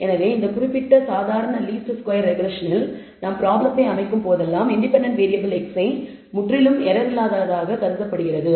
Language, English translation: Tamil, So, in this particular ordinary least squares regression that we are going to deal with we will assume whenever we set up the problem x i the independent variable is assumed to be completely error free